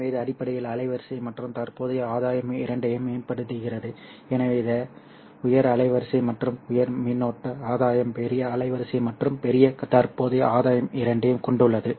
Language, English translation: Tamil, So it has both high bandwidth as well as high current gain or large bandwidth and large current gain